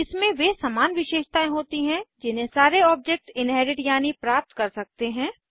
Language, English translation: Hindi, It has the common qualities that all the objects can inherit